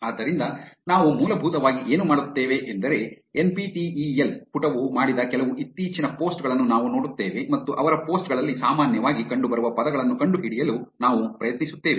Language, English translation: Kannada, So, what we will essentially do is we will go through some of the recent posts that the NPTEL page has done and we will try to find out which are the most commonly appearing words in their posts